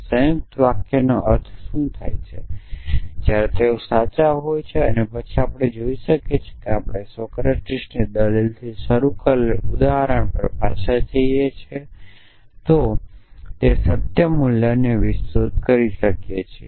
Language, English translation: Gujarati, What do compound sentences mean when they when are they true and then we can set of know extend that truth value of essentially if you go back to the example we started with this the Socrates argument